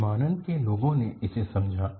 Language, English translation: Hindi, So, aviation people understood this